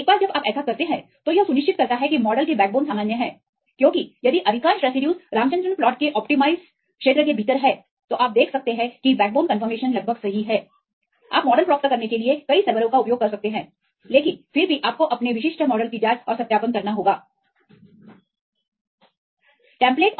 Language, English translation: Hindi, Once you do this it ensures that the backbone conformation of the model is normal; because if the most of the residues are within the allowed region of the Ramachandran plot then you can see that the backbone conformation is almost correct that you can use several servers to get the model, but even then you have to check the and validate their specific models